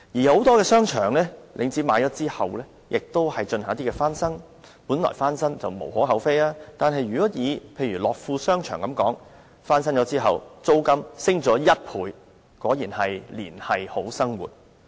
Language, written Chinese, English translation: Cantonese, 很多被領展購買的商場都會進行翻新，本來翻新也無可厚非，但以樂富商場為例，翻新後租金卻上升1倍，果然是"連繫好生活"。, Many shopping arcades acquired by Link REIT are renovated and while renovation originally gives no cause for criticism in Lok Fu Place for instance the rental has nevertheless doubled after renovation . Truly it has linked people to a brighter future . Another example is Tin Ma Court Commercial Centre